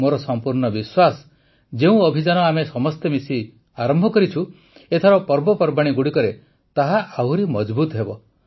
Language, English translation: Odia, I am sure that the campaign which we all have started together will be stronger this time during the festivals